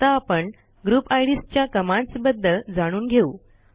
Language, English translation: Marathi, Let us now learn the commands for Group IDs